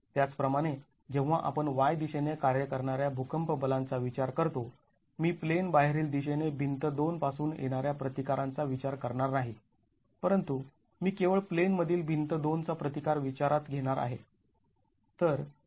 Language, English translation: Marathi, Similarly when we are considering earthquake force acting in the Y direction I am not going to be considering the resistance coming from wall 2 in the out of plane direction but I will be considering only the resistance in plane of wall 2